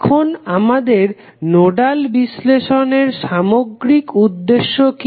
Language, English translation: Bengali, Now, what is the overall objective of our nodal analysis